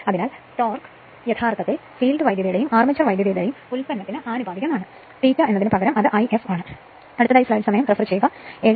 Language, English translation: Malayalam, That means, your torque actually proportional to then, your field current product of field current and armature current right instead of phi we are made it is I f